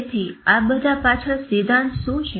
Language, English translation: Gujarati, So, what is the theory behind all this